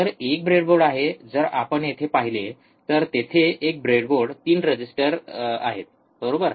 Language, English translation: Marathi, So, there is a breadboard as you see here there is a breadboard 3 resistors, right